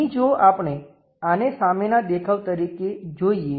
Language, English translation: Gujarati, Here if we are looking at this one as the front view